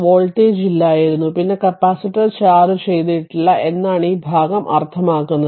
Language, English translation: Malayalam, There was no there was no voltage then write capacitor was uncharged